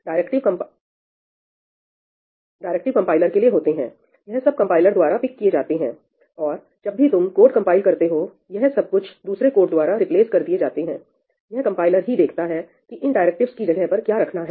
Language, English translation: Hindi, These are directives for the compiler, these are picked up by the compiler when you compile the code and replaced with some other code – the compiler figures out what to put over there